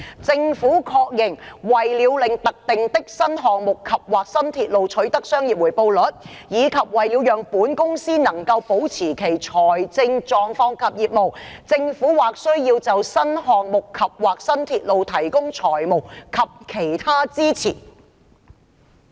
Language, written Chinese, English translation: Cantonese, 政府確認，為了令特定的新項目及/或新鐵路取得商業回報率，以及為了讓本公司能夠保持其財政狀況及業務，政府或需要就該等新項目及/或新鐵路提供財務及其他支持。, The Government acknowledges that in order for particular New Projects andor New Railways to make a commercial rate of return and in order for the Company to maintain its financial standing and profile financial and other support for those New Projects andor New Railways from the Government may be required